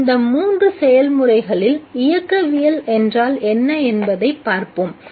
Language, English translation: Tamil, So let us look at what is meant by the kinetics of these three processes